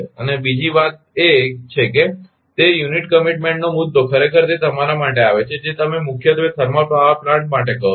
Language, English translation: Gujarati, And another thing is that that unit commitment issue actually it is coming for the your what you call for thermal power plant mainly